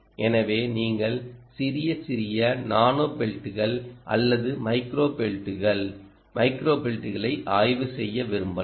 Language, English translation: Tamil, so you may even want to examine ah small, ah, tiny ah, nano pelts or micro pelts, micro pelts in fact there is a company called micropelt